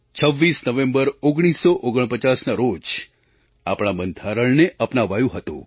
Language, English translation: Gujarati, Our Constitution was adopted on 26th November, 1949